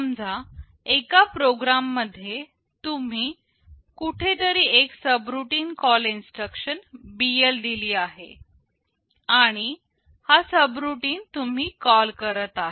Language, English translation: Marathi, Suppose in a program somewhere you have given a subroutine call instruction BL and this is the subroutine you are calling